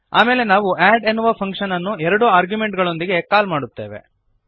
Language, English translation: Kannada, Then we call the add function with two arguments